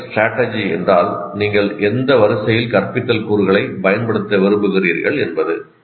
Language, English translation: Tamil, Strategy means in what sequence you want to do, which instructional components you want to use